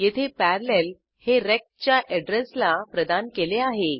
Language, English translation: Marathi, Here, Parallel is assigned to the address of p